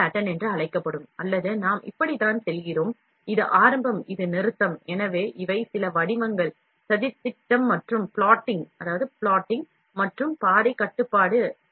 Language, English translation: Tamil, Serpentine pattern or we just go like this, this is start, this is stop, so these are some of the patterns, plotting and path control